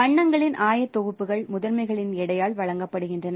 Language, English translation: Tamil, So the coordinates of colors are given by the weights of the primaries used to match it